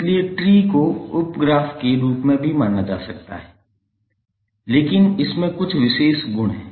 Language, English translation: Hindi, So tree can also be consider as a sub graph, but it has some special properties